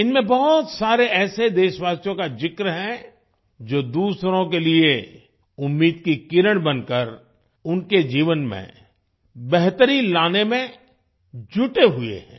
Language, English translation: Hindi, These comprise due mention of many countrymen who are striving to improve the lives of others by becoming a ray of hope for them